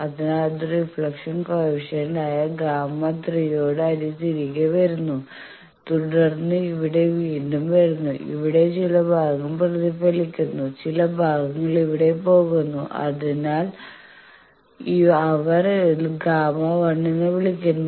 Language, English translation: Malayalam, So, it comes back with a reflection coefficient gamma 3, then comes here again here some portion comes back reflected some portion goes here that they are calling is gamma 1, etcetera